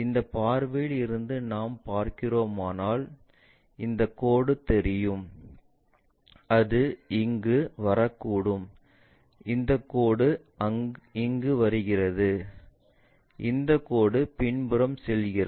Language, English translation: Tamil, If, we are looking from this view, this line will be visible perhaps it might be coming that, this line naturally comes here and this line perhaps going a back side